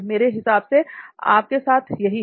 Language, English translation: Hindi, I think that is it with you